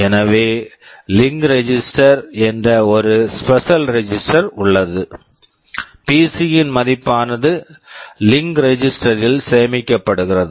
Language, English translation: Tamil, So, there is a special register called the link register, the value of the PC gets copied into the link register